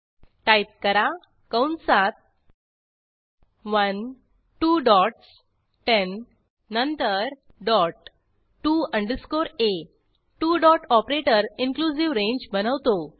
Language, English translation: Marathi, Type Within brackets 1 two dots 10 then dot to underscore a Two dot operator creates inclusive range